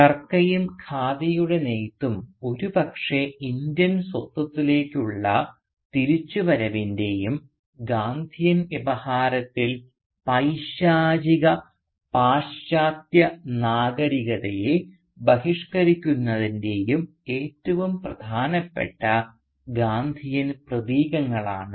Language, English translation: Malayalam, Now the Charka and the weaving of Khadi were perhaps the most important Gandhian symbols of the return to Indianness and the boycotting of the Satanic Western Civilisation in the Gandhian Discourse